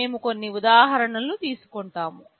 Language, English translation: Telugu, We will take some examples